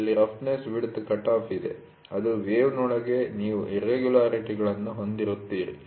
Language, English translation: Kannada, So, here is a roughness width cutoff, which is within the wave you will have irregularities